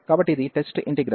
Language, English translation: Telugu, So, this was the test integral